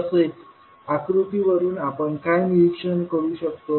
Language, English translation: Marathi, Now from the figure what we can observe